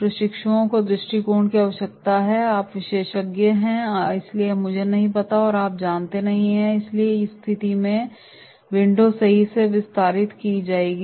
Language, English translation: Hindi, Trainees’ point of view is required that is you are the expert so I do not know and you know and therefore in that case this window will be extended out right